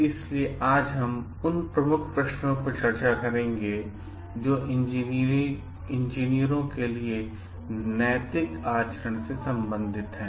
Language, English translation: Hindi, So, today we will discuss the Key Questions which are pertaining to Ethical Conduct for Engineers